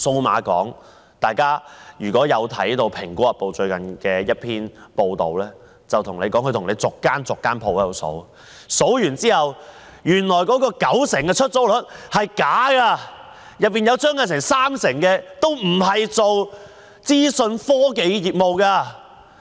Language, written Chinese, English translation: Cantonese, 如果大家看過《蘋果日報》最近的一篇報道，便知道文中指出，經逐一點算數碼港的商鋪後，發覺聲稱的九成出租率是假的，當中有三成商鋪並非從事資訊科技業務。, If Members have read a recent report in Apple Daily they should learn that after checking the shops in Cyberport one by one the 90 % occupancy rate being claimed is not true as 30 % of the shops are not engaging in information technology business